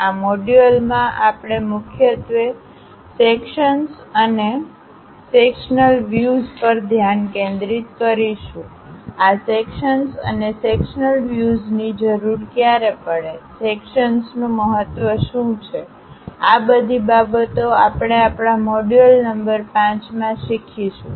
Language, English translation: Gujarati, In this module, we will mainly focus on Sections and Sectional Views; when do we require this sections and sectional views, what are the importance of the sections; these are the things what we are going to learn in our module number 5